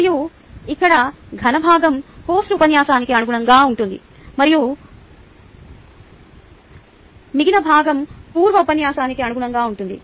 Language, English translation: Telugu, the solid a part here corresponds to post lecture and this part corresponds to pre lecture